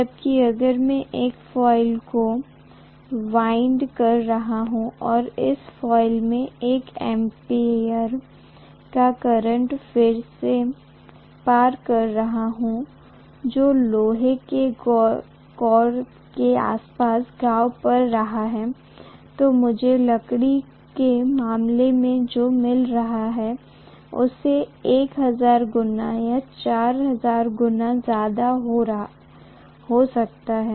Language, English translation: Hindi, Whereas if I am winding a coil, again passing the same 1 ampere of current in a coil which is wound around an iron core I am going to get maybe 1000 times or 4000 times more than what I got in the case of wood